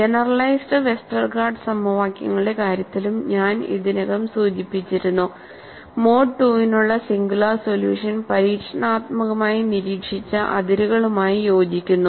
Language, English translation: Malayalam, I had already mentioned, even in the case of generalized Westergaard equations, the singular solution for mode 2 reasonably matches with experimentally observed fringes